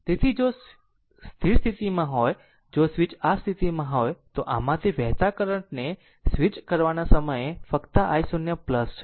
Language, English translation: Gujarati, So, if switch is in position if switch is in position this one, at the just at the time of switching the current flowing through this is i 0 plus right